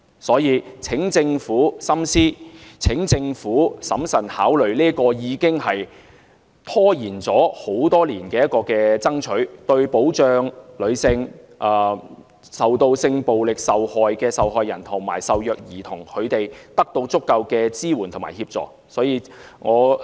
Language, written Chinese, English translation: Cantonese, 所以，請政府深思、請政府審慎考慮落實這個已經拖延多年的做法，讓受到性暴力的受害人及受虐兒童得到足夠支援和協助。, Therefore I urge the Government to study these issues and consider prudently the implementation of these measures that have been dragging on for many years so as to enable sexual violence and child abuse victims to get adequate support and assistance